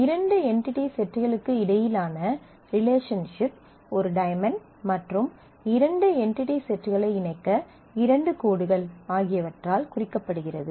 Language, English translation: Tamil, A relationship between two entity sets is represented by a diamond, and 2 connecting lines to the 2 entity sets